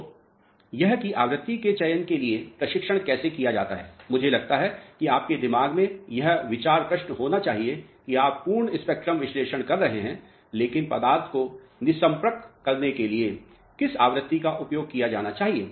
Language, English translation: Hindi, So, this is how the training is done for selection of frequency, I think you must be having this idea question in your mind that you are doing the complete spectrum analysis, but which frequency should be used for characterizing the material